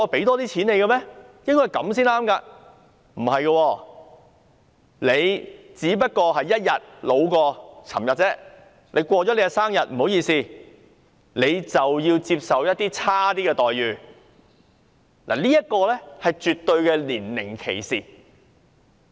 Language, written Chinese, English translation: Cantonese, 然而，事實並非如此，即使你只不過較昨天年老1天，你過了生日便要接受較差的待遇，這是絕對的年齡歧視。, However this is not the case in reality . Even though you are just one day older than you were yesterday you have to accept a less favourable package after your birthday and this is downright age discrimination